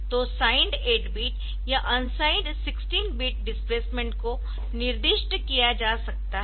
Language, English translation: Hindi, So, the signed 8 bit or unsigned 16 bit displacement can be specified